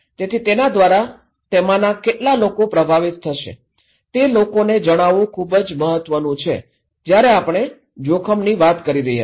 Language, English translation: Gujarati, So, is that how many of them will be affected is very important to tell people when we are communicating risk